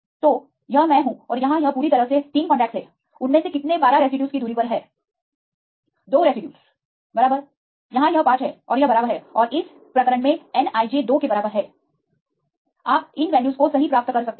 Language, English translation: Hindi, So, this is the i and here this is j totally 3 contacts how many of them have the distance separation 12 residues 2 right this is 5 and this and this right this case nij equal to 2 right you can get these values right